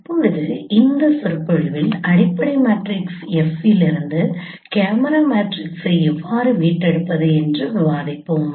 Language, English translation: Tamil, Now in this lecture we will be discussing that how we can retrieve the camera matrices from fundamental matrix F